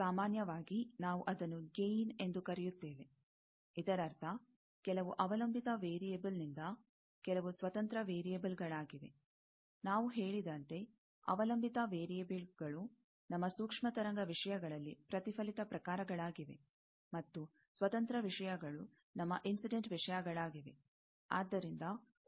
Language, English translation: Kannada, Generally, we call that gain; that means some dependent variable by some independent variable; as we have said that, dependent variables are the reflected type of thing in our microwave things; and, independent things are our incident things